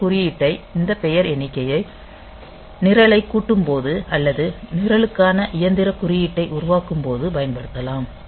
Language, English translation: Tamil, So, I may write I may use this symbol this name count and while assembling the program or generating the machine code for the program